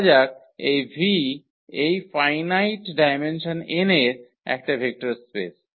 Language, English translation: Bengali, So, let V be a vector space of this finite dimension n